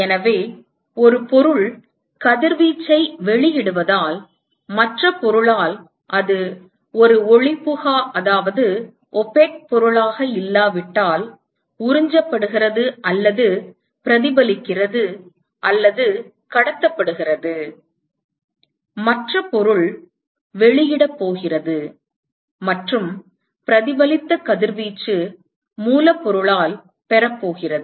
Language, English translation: Tamil, So, there has to be a because one object emits radiation there is absorbed or reflected or transmitted, if it is not an opaque object by the other object; and the other object is going to emit and the reflected radiation is also going to be received by the source object